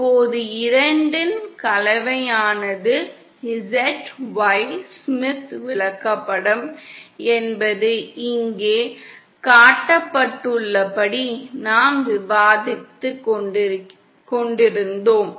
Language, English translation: Tamil, Now, a combination of the 2 means Z Y Smith chart as we were discussing as shown here